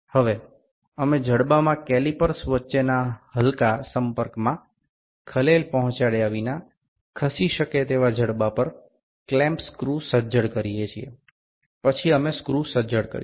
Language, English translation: Gujarati, Now we tighten the clamp screw on the moveable jaw without disturbing the light contact between calipers in the jaw, then we will tighten the screw